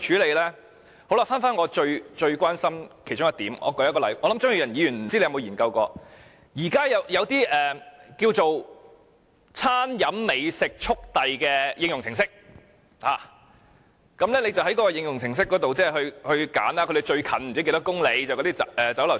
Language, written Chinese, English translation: Cantonese, 回到我最關心的其中一點，不知道張宇人議員曾否研究過，現時有一種"餐飲美食速遞"的應用程式，購買者可在這程式上選擇附近某公里內的食肆落單。, There are mobile apps providing gourmet food delivery service . I am not sure if Mr Tommy CHEUNG has studied this trend . The apps enable users to place orders with nearby eateries within certain kilometres in distance